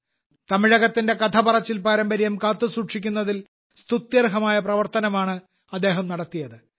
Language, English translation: Malayalam, He has done a commendable job of preserving the story telling tradition of Tamil Nadu